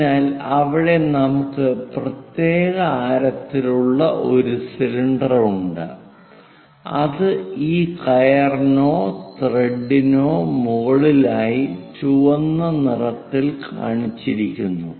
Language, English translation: Malayalam, So, here an example a cylinder of particular radius which is winding over this rope or thread which is shown in red color